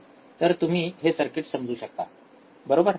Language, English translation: Marathi, So, you understand this circuit, right